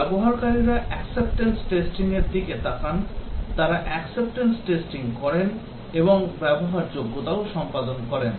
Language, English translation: Bengali, The users they look at the acceptance testing, they perform the acceptance testing and also usability